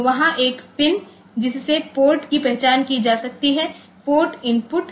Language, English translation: Hindi, So, there is a pin can be the port identified; port input